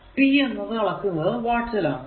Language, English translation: Malayalam, So, power is measured in watts